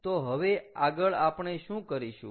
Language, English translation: Gujarati, so what do we have to do